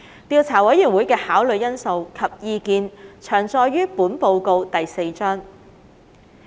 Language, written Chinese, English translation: Cantonese, 調查委員會的考慮因素及意見詳載於本報告第4章。, Details of the Investigation Committees considerations and views are set out in Chapter 4 of this Report